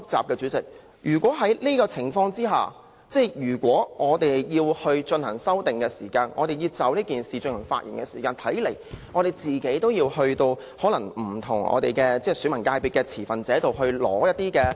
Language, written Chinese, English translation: Cantonese, 代理主席，如果在這個情況下，我們要進行修訂時，或議員要就《條例草案》發言時，看來也要向不同界別的持份者收集意見......, Under such circumstances Deputy President should Members wish to propose amendments or speak on the Bill they will probably need to collect views from stakeholders in the various sectors